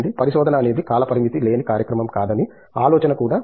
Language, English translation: Telugu, Then also have this idea that research is not a time bound program, right